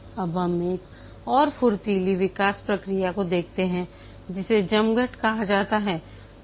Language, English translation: Hindi, Now let's look at another agile development process which is called a scrum